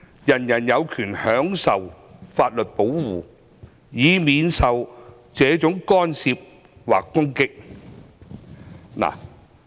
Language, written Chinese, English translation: Cantonese, 人人有權享受法律保護，以免受這種干涉或攻擊。, Everyone has the right to the protection of the law against such interference or attacks